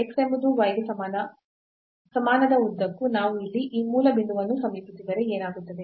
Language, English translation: Kannada, So, along this x is equal to y, what we have along x is equal to y line if we approach to this origin point here what will happen